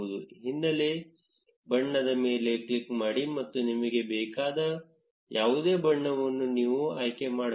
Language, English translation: Kannada, Click on the background color and you can choose any color, which you want